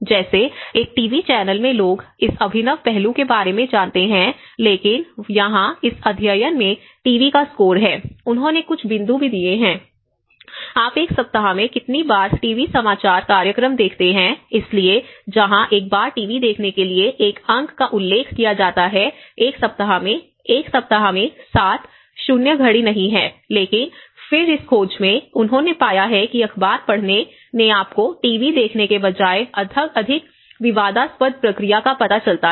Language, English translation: Hindi, Like in TV is one channel how people know about this innovative aspect but here in this study TV has score, they have also assigned some points, how often do you watch TV news programs in a week, so where 1 point is referred to TV watching once in a week, 7 in a week, 0 is do not watch, but then in this finding, they have found that the newspaper reading has given you know the more diffusive process rather than the TV watching